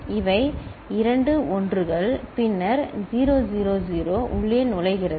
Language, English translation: Tamil, These are two 1s, then 0 0 0 gets in